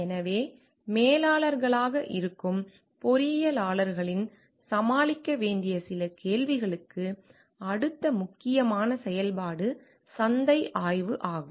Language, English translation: Tamil, So, next important function where some questions the engineers as managers may need to tackle is market study